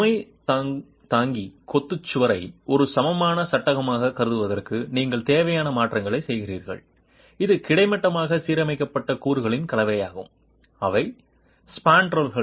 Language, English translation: Tamil, You make necessary modifications to consider the load bearing masonry wall as an equivalent frame with a combination of horizontal, horizontally aligned elements which are the spandrels and the vertically aligned elements which are the piers